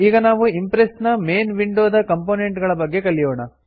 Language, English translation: Kannada, Now let us learn about the main components of the Impress window